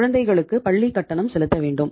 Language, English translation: Tamil, We have to pay the fees of the kids